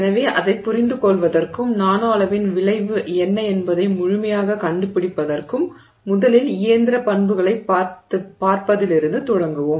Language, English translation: Tamil, So, to understand that and to you know completely figure out what is the effect of the nanoscale, we will begin by first looking at the mechanical properties themselves